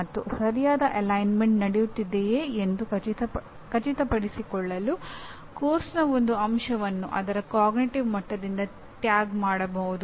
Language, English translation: Kannada, And to ensure that the proper alignment takes place an element of a course can be tagged by its cognitive level